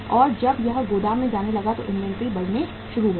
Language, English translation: Hindi, And when it started going to the warehouse the inventory started mounting